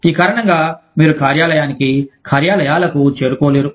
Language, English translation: Telugu, Because of which, you cannot reach the office, offices